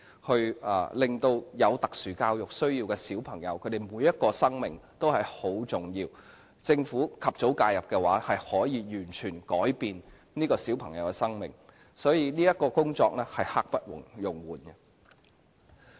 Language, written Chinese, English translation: Cantonese, 每一個有特殊教育需要的小朋友的生命都很重要，政府及早介入，便可以完全改變這些小朋友的生命，所以這項工作是刻不容緩的。, The life of every child with SEN counts . Early intervention by the Government can completely change the lives of these children and therefore there is an urgent need to implement this measure